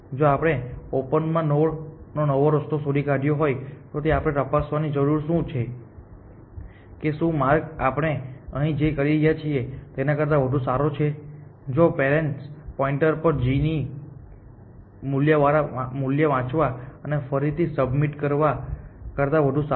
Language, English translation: Gujarati, If we have found a new path to a node in open then we need to check whether this path is better which is what we are doing here, if it is better than we readjust the parent pointer and readjust the g value essentially